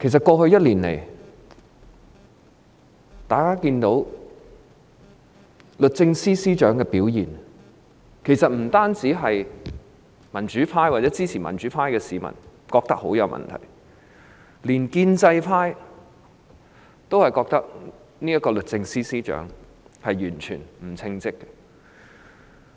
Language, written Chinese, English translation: Cantonese, 過去1年，大家都看到律政司司長的表現，不僅民主派或支持民主派的市民覺得她大有問題，連建制派也認為，這名律政司司長完全不稱職。, In the past year all of us have seen how the Secretary for Justice has performed . Not only the democrats and the people who support the pro - democracy camp think that she has got big problems but even the pro - establishment camp considers that the Secretary for Justice is totally incompetent